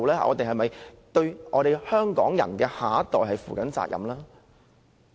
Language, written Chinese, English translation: Cantonese, 我們有否對香港下一代人負責任？, Is it fair? . Have we acted responsibly for the next generation of Hong Kong?